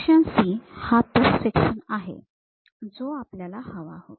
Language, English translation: Marathi, Section C, this is the section what we would like to have